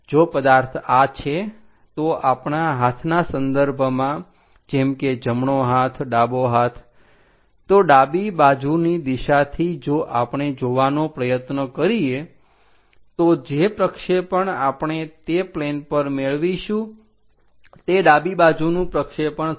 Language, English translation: Gujarati, If the object is this, with respect to our hands like right hand, left hand from left side direction we are trying to look at it, so the projection what we are going to get on that plane is left side projection